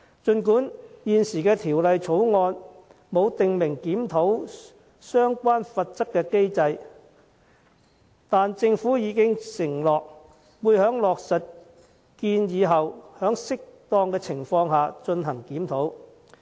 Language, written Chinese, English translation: Cantonese, 儘管現時《條例草案》沒有訂明檢討相關罰則的機制，但政府已承諾在落實相關建議後，在適當的情況下進行檢討。, Although at present the Bill has not set out a mechanism for reviewing the relevant penalties the Government has undertaken to conduct review where appropriate after the implementation of the relevant proposals